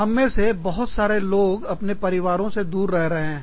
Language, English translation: Hindi, So, many of us are living, far away from our families